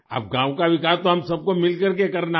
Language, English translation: Hindi, Now we all have to do the development of the village together